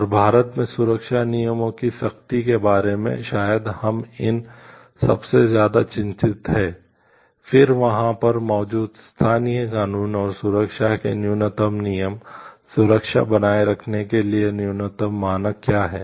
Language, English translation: Hindi, And what we see about maybe these were like the more concerned with about the strictness of the safety rules, and then in India then local laws present over there and what are the minimum safety rules, minimum standards for maintaining safety